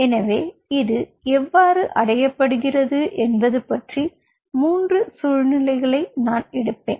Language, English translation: Tamil, so in this fragment i will take three situations: how this is being achieved